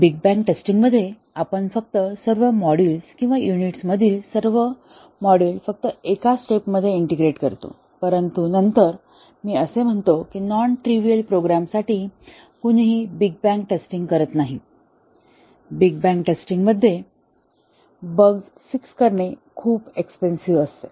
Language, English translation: Marathi, In big bang testing, we just integrate all the modules in all the modules or units in just one step, but then we said that for a non trivial program, nobody does a big bang testing, it would be too expensive to fix bugs in a big bang testing